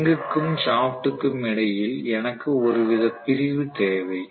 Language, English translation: Tamil, So I need to have some kind of insulation between the ring and the shaft itself